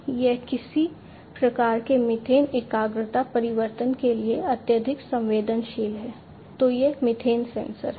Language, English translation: Hindi, So, this is; that means, that it is highly sensitive to any kind of methane concentration change, so the is this methane sensor